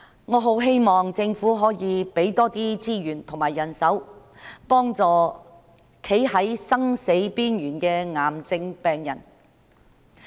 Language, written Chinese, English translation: Cantonese, 我很希望政府可以增加資源和人手，幫助站在生死邊緣的癌症病人。, I very much hope that the Government can increase resources and manpower to help cancer patients who are standing on the verge of life and death